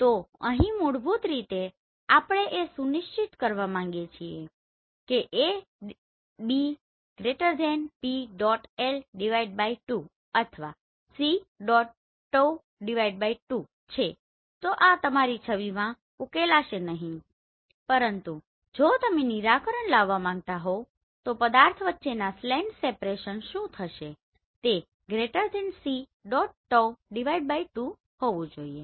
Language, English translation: Gujarati, So here basically we want to make sure that A B is< PL/2 or c tau/2 then these will not be resolved in your image, but if you want to resolve then what will happen the slant separation between the object should be>c tau/2 right